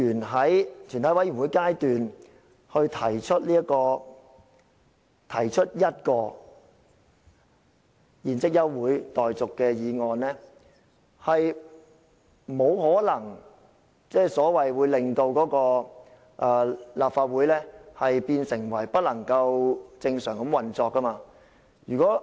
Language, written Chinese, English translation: Cantonese, 這是一個原則問題，我認為議員在全體委員會審議階段提出一項現即休會待續的議案，是不可能令立法會不能正常地運作。, This is a matter of principle . I do not think that moving an adjournment motion at the Committee stage can hinder the normal operation of the Legislative Council